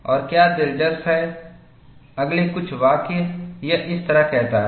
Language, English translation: Hindi, And what is interesting is, the next few sentences, it says like this